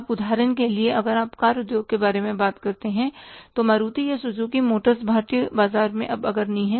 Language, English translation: Hindi, Now, for example, if you talk about the car industry, Maruti is the or the Suzuki Motors is the leader now in the Indian market